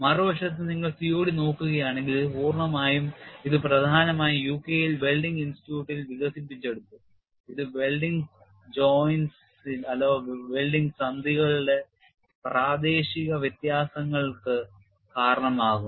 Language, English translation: Malayalam, On the other hand, if you look at COD, it is mainly developed in the UK at the Welding Institute which accounts for the local differences of the welded joint, thus more directed to the design of welded parts